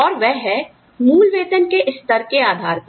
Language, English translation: Hindi, And, that is based on, slabs of basic pay